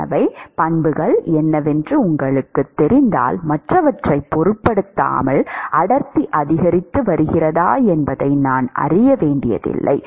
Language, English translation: Tamil, So, if you know what the properties are, I do not need to know whether density is increasing decreasing independent of the others